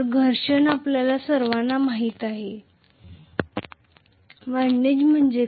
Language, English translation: Marathi, Friction all of you know, what is windage